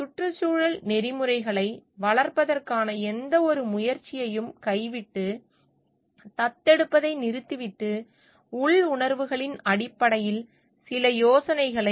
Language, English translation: Tamil, Abandon any attempt to develop and environmental ethics, and just stop adopt and just adopt some ideas based on inner feelings